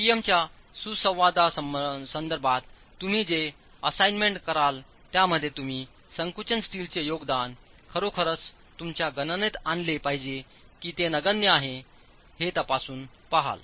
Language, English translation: Marathi, And in the assignment that you will do with respect to the PM interactions, you'll actually check if the contribution by the compression steel is something you must actually bring into your calculations or is it something negligible